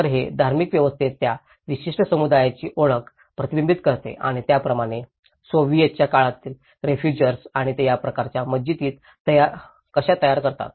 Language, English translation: Marathi, So, it reflects the identity of that particular community in the religious system and similarly, the Soviet that time refugees and how they build this kind of mosques